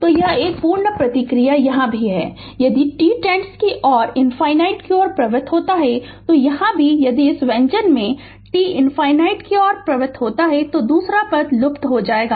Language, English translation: Hindi, So, this complete response is here also here also if t tends to infinity, here also if you make in this expression t tends to infinity, the second term will vanish